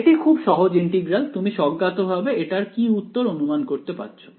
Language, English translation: Bengali, It is very simple integral for you to do what do you intuitively expect this answer to be